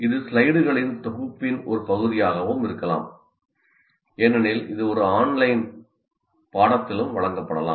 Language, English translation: Tamil, It can be also as a part of a set of slides as we will see that can be presented in an online course as well